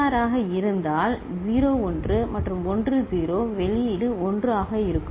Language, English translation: Tamil, XOR if 0 1 and 1 0, the output will be 1